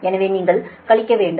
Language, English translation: Tamil, so we have taken that